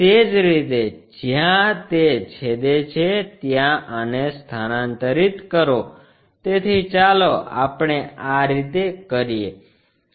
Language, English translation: Gujarati, Similarly, transfer this one where it is intersecting, so let us do it in this way